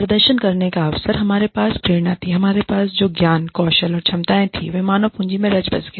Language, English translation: Hindi, The opportunity to perform, the motivation we had, the knowledge skills and abilities we had, fed into the human capital